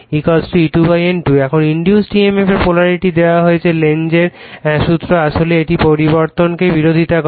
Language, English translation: Bengali, Now, polarity of the induced emf is given / Lenz’s law actually it opposes the change